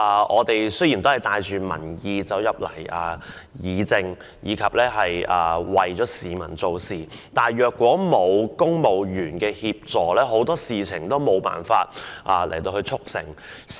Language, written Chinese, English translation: Cantonese, 我們帶着民意進入議會議政，為市民做事，但如果沒有公務員協助，很多事情皆無法促成。, Armed with a public mandate we join the legislature to deliberate policies and serve the public . Without the assistance of civil servants many things would have been impossible